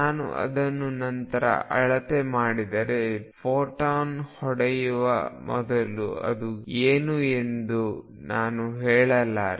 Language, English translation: Kannada, If I measure it later I cannot say what it was before the photon hit it